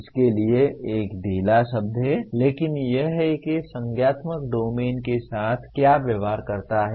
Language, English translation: Hindi, Is a loose word for this but that is what cognitive domain deals with